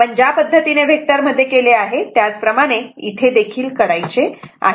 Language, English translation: Marathi, The way you do vector same way you do here also